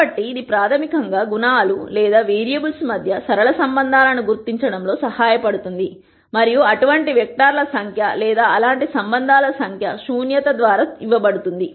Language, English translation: Telugu, So, this basically helps in identifying the linear relationships between the attributes or the variables directly and the number of such vectors or number of such relationships is what is given by the nullity